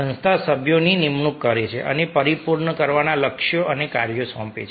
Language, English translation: Gujarati, the organization appoints members and assigns the goals and tasks to be accomplished